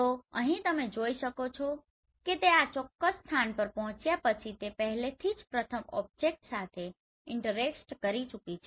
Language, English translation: Gujarati, So here you can see once it has reached to this particular position it has already interacted with the first object right